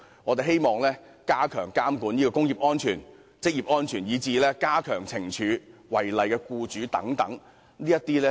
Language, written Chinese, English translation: Cantonese, 我們希望加強監管工業及職業安全，以至加強懲處違例僱主等。, We hope that the monitoring of industrial and occupational safety can be enhanced and law - breaking employers can be sentenced to more severe penalties